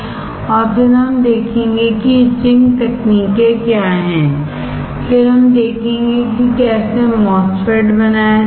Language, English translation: Hindi, And then we will see what are the etching techniques, then we will see how the MOSFET is fabricated